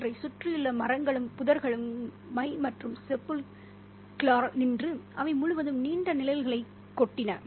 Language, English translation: Tamil, The trees and bushes around them stood inky and sepulchral, spilling long shadows across them